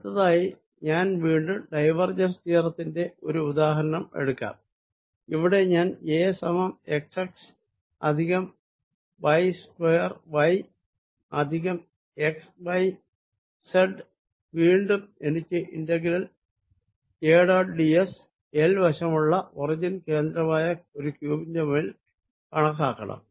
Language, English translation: Malayalam, next, again, i take an example for divergence theorem where i am going to take a to be equal to x, x plus y square, y plus x, y, z, and again i want to calculate it's integral: a dot d s over a cubed of side l centred at the origin